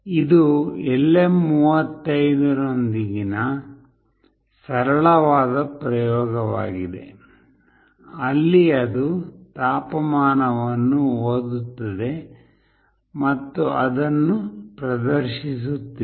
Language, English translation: Kannada, This is a simple experiment with LM35, where it is reading the temperature and is displaying it